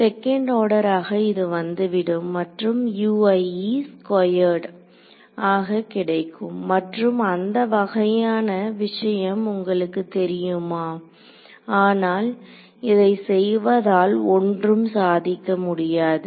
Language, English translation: Tamil, It will become second order I will get a U i squared and you know those kind of thing, but what is the nothing is achieved by doing it